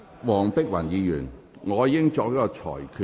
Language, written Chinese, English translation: Cantonese, 黃碧雲議員，我已經作出裁決。, Dr Helena WONG I have made a ruling